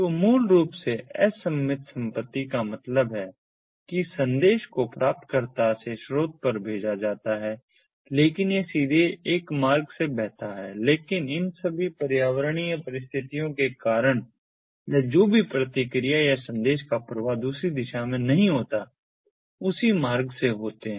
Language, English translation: Hindi, so basically, asymmetric property means that while the message is sent from the source to, that is, the recipient, it flows through one route, may be directly, but because of all these environmental situations or whatever, the response or the flow of message in the other direction doesnt take place through the same route